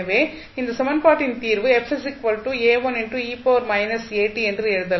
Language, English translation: Tamil, So, what you can write for this equation